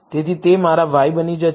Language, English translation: Gujarati, So, that becomes my y